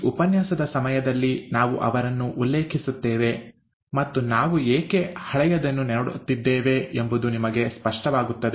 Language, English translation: Kannada, We will refer to him during the course of this lecture and it will also become clear to you why we are looking at something that is so old